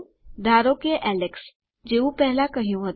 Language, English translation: Gujarati, Lets say alex, like I said before